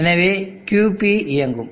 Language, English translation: Tamil, So that way QP will turn on